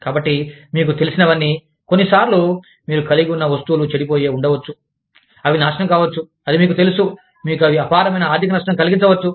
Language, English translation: Telugu, So, that whatever you know, sometimes, you may have things, that can get spoilt, that can get ruined, that can, you know, cause you, immense economic financial damage